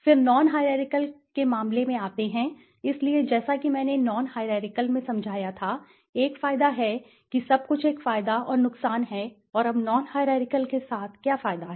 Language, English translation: Hindi, Then come to the case of non hierarchical, so as I explained in the non hierarchical, there is an advantage everything has a advantage and disadvantage and now what is the advantage with the non hierarchical